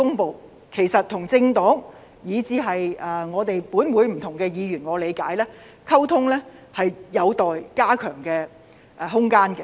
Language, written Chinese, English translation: Cantonese, 據我理解，政府與政黨以至立法會的不同議員的溝通上，都有加強的空間。, I understand that there is room for improvement in the communication between the Government and various political parties as well as Members of the Legislative Council